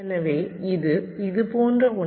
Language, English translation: Tamil, ok, so something like this